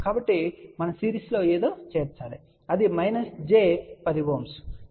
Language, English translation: Telugu, So, we add something in series which is minus j 10 Ohm